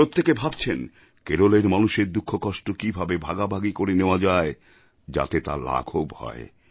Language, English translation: Bengali, Everyone is trying to ensure speedy mitigation of the sufferings people in Kerala are going through, in fact sharing their pain